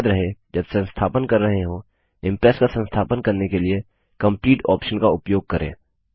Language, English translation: Hindi, Remember, when installing, use theComplete option to install Impress